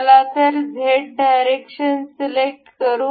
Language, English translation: Marathi, So, let us select this Z direction